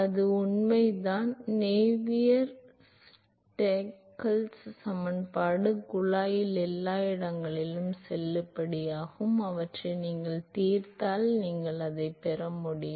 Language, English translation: Tamil, That is true Navier Stokes equation is valid everywhere in the tube if you solve them you should be able to get it